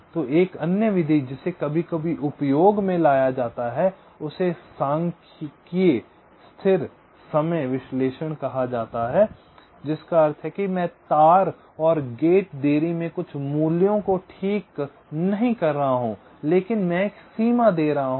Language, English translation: Hindi, ok, and another method which is also used, sometimes called statistical static timing analysis, which means i am not fixing some values in the wire and gate delays but i am giving a range i am assuming it is a random variable and representing them by a probability distribution